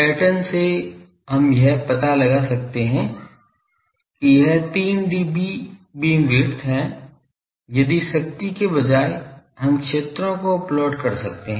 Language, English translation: Hindi, From the pattern, we can find out that this is the 3 dB beam width if instead of power, we can plot fields